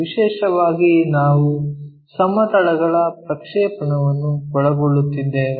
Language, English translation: Kannada, Especially, we are covering projection of planes